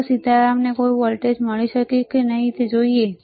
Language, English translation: Gujarati, So, let us see whether Sitaram can get any voltage or not, all right let us see